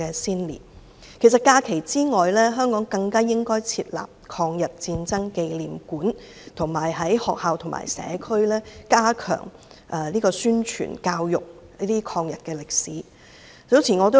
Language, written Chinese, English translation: Cantonese, 除了列為法定假日外，香港更應設立抗日戰爭紀念館，以及在學校、社區加強抗日歷史的宣傳教育。, In addition to designating this day as a statutory holiday Hong Kong should also set up a memorial hall of the War of Resistance against Japanese Aggression in Hong Kong and enhance publicity and education on anti - Japanese history in schools and the community